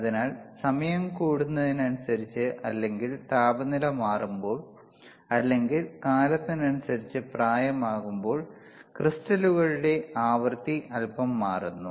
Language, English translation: Malayalam, So, as the time increases, or or when did when the temperature is changed, or when it is aging by thiswith time, then the frequency of the crystals, tends to change slightly